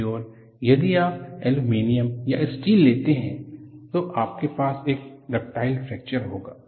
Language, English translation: Hindi, On the other hand, if you take aluminum or steel, you will have a ductile fracture